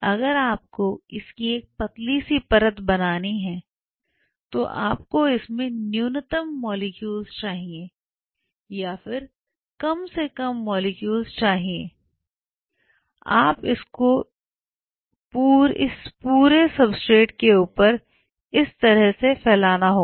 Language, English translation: Hindi, Now if you have to play it as a thin film then you have to have minimalistic number of molecules or minimum number of molecules and you should be able to spread it out all over the substrate the way you see here